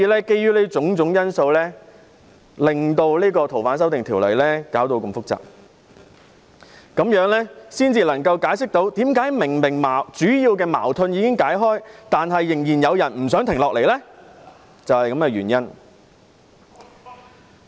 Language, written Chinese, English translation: Cantonese, 基於種種因素，《逃犯條例》的修訂便弄得如此複雜，這樣才能解釋為何修例的主要矛盾已經解開，但仍然有人不想停下來。, All of these factors have made the FOO amendment exercise very complicated . That explains why even though the main disagreement of the amendment exercise has been resolved some people are not willing to stop